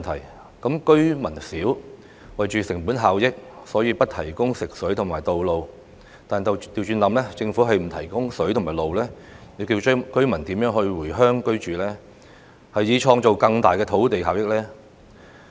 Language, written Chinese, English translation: Cantonese, 如果居民少，因為成本效益而不提供食水和道路，但倒過來想，如果政府不提供食水和道路，居民又何以回鄉居住，以創造更大的土地效益呢？, If the Government refuses to construct treated water supply system and access road for a village because it is sparsely populated then I will ask the question in reverse if the Government is not going to construct treated water supply systems and access roads for the rural areas how can residents return to their villages and live there so as to optimize the benefit of land?